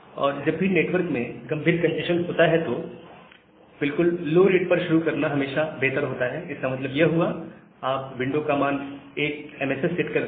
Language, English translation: Hindi, And whenever there is a severe congestion in the network, it is always better to start with a very low rate that means, setting the congestion window value to 1 MSS, so that is the broad difference